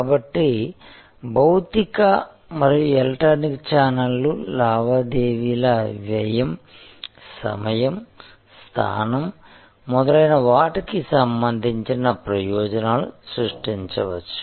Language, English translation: Telugu, So, the physical and electronic channels may create advantages with respect to transaction cost, time, location and so on